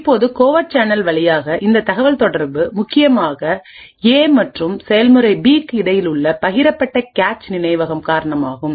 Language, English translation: Tamil, Now this communication through the covert channel is essentially due to the shared cache memory that is present between the process A and process B